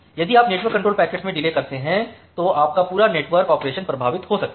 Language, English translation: Hindi, So, if you make a delay in the network control packets your entire network operation may get affected